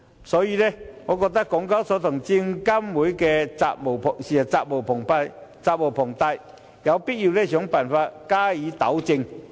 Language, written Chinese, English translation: Cantonese, 所以，我認為港交所和證監會責無旁貸，有必要想辦法加以糾正。, So I think HKEx and SFC are obliged to come up with ways to rectify the situation